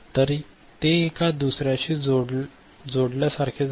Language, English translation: Marathi, So, one is getting connected to the other